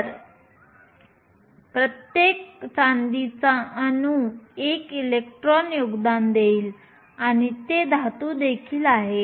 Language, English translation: Marathi, So, each silver atom will contribute 1 electron and it is also metal